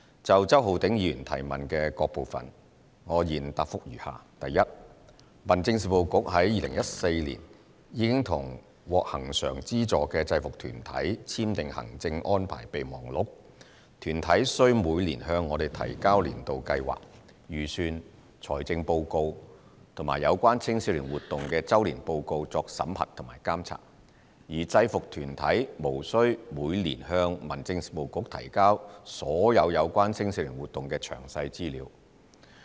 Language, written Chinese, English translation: Cantonese, 就周浩鼎議員主體質詢的各部分，我現答覆如下︰一民政事務局於2014年已與獲恆常資助的制服團體簽訂行政安排備忘錄，團體需每年向我們提交年度計劃、預算、財政報告及有關青少年活動的周年報告作審核和監察，而制服團體無需每年向民政事務局提交所有有關青少年活動的詳細資料。, My reply to various parts of Mr Holden CHOWs main question is as follows 1 The Home Affairs Bureau has signed with each of the subvented UGs in 2014 a Memorandum of Administrative Arrangements MAA requiring the annual submission of year plan budget financial report and annual report in relation to youth activities for the Home Affairs Bureaus scrutiny and monitoring . UGs are not required to annually submit detailed information on all relevant youth activities to the Home Affairs Bureau